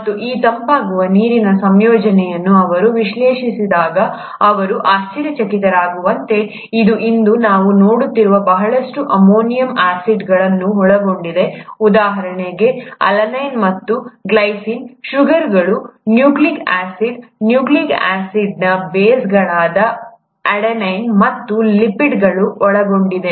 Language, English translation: Kannada, And when they analyze the composition of this cooled water, they found to their amazement that it consisted of a lot of amino acids that we even see today, such as alinine and glycine, sugars, nucleic acid, and nucleic acid bases like adenine and lipids